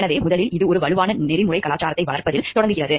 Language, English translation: Tamil, So, first it starts with developing a strong ethics culture